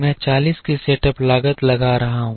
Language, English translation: Hindi, I am incurring a setup cost of 40